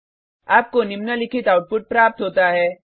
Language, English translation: Hindi, You get the following output